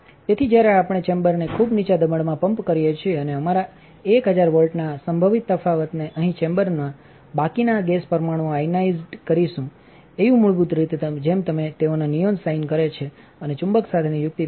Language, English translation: Gujarati, So, when we pump down the chamber to a very low pressure and put our 1000 volt potential difference on here the remaining gas molecules in the chamber will ionize, Au basically just like they do in a neon sign and the trick with the magnet is that it concentrates all of the electrons in this area